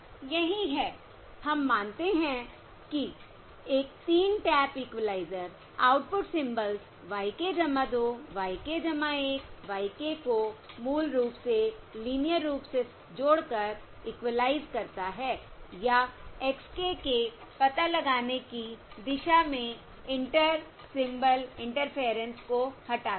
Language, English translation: Hindi, That is, we consider a 3 tap equaliser linearly combine the output symbols y k plus 2, y k plus 1, y k to basically equalise or remove the Inter Symbol Interference towards the detection of x k